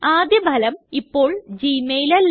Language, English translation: Malayalam, The top result is no longer gmail